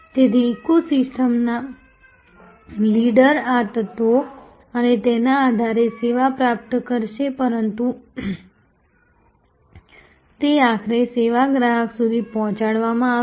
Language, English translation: Gujarati, So, the eco system leader will acquire service on the basis of these elements and the, but it will be delivered to the ultimately to the service consumer